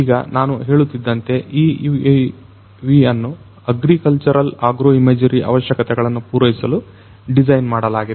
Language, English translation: Kannada, Now, this one as I was telling you this particular UAV has been designed for catering to agricultural agro imagery requirements